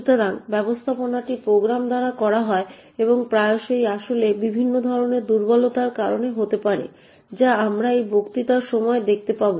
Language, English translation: Bengali, So this management is done by the program and quite often this could actually result in several different types of vulnerabilities as we will see during this lecture